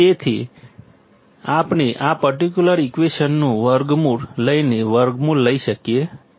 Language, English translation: Gujarati, So, we can have by taking square root; by taking square root of this particular equation